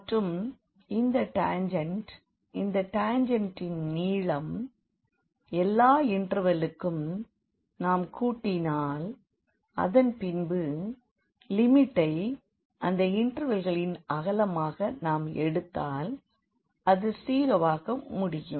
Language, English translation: Tamil, And this tangent the length of this tangent, if we add for all the intervals and later on we take the limit as the width of these intervals go to 0 in that case we will end up with getting the curve length